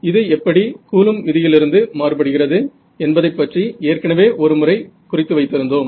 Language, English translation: Tamil, So, we have already made one comment about how this is different from your Coulomb's law right ok